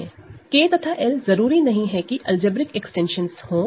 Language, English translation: Hindi, K and L are not necessarily algebraic extensions